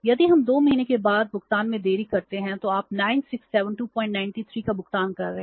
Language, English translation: Hindi, If we delay the payment up to 2 months you are ending up paying 967